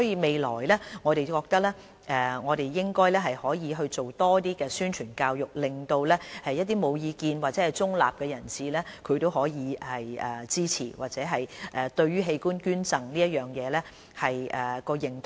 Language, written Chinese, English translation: Cantonese, 未來我們應該多做宣傳教育，令到無意見或中立的人士支持，或提高對於器官捐贈的認同。, In future we should do more promotion and education so as to muster support from those who had no opinion or were neutral in their stance or raise their level of recognition over organ donation